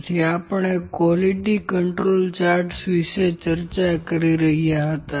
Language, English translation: Gujarati, So, we were discussing the Quality Control charts